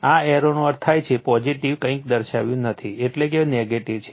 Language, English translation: Gujarati, This arrow means positive nothing is shown means negative right